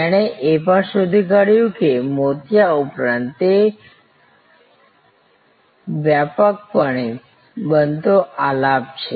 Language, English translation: Gujarati, He also found that besides cataract, which is a widely occurring melody